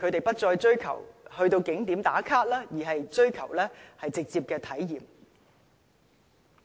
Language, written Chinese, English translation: Cantonese, 不再追求到景點"打卡"，而是追求直接的體驗。, Visitors no longer want to check in tourist attractions on Facebook; they want to have direct experiences